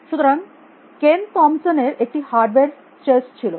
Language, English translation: Bengali, So, Ken Thomson had a hardware chess